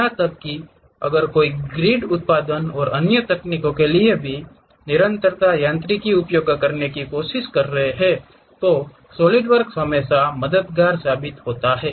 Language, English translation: Hindi, Even if someone is trying to use other specialized continuum mechanics for the grid generation and other techniques, Solidworks always be helpful